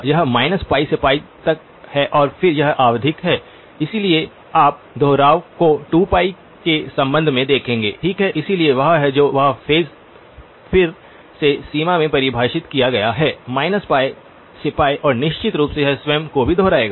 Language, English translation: Hindi, This is minus pi to pi and then it is periodic, so you will see the repetitions with respect to 2pi okay, so that is that and the phase is again defined in the range minus pi to pi and of course it will also repeat itself okay